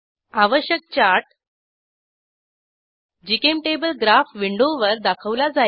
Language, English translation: Marathi, The required chart is displayed on GChemTable Graph window